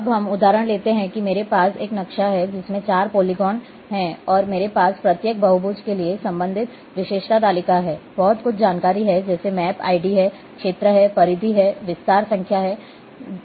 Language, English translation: Hindi, Now, let’s take the example is a that I am having a map which is having four polygons here and I am having corresponding attribute table for each polygon there are lot some information like map id is there, area is there, perimeter there, extend number is there